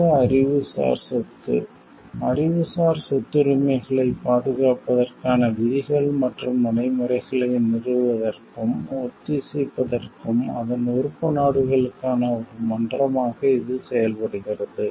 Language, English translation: Tamil, World intellectual property; organization it serves as a forum for it is member states to establish and harmonize rules and practices for the protection of intellectual property rights